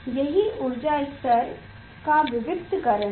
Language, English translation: Hindi, that is the discreteness of energy levels